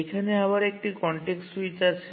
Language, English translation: Bengali, So, there is again a context switch